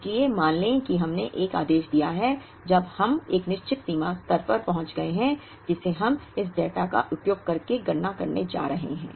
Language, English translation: Hindi, So, let us assume that we have placed an order, when we have reached a certain reorder level, which we are going to calculate using this data